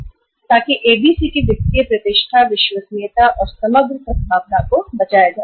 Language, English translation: Hindi, So that saved the ABC’s financial reputation, credibility and overall goodwill in the market